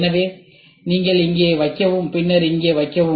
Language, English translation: Tamil, So, you put here and then you put here